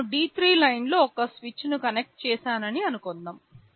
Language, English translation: Telugu, Let us say on line D3 I have connected a switch